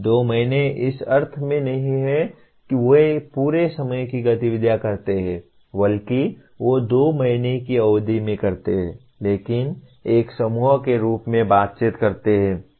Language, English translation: Hindi, 2 months in the sense not full time activity but they do over a period of 2 months but as a group interacting